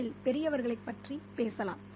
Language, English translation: Tamil, Let's talk about the adults in the story